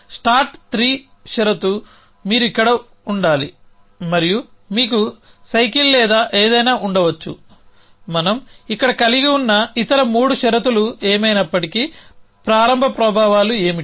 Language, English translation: Telugu, So, the start 3 condition as you should be here and may be you have a bicycle or something what is, whatever is other 3 condition that we have here, what are the start effects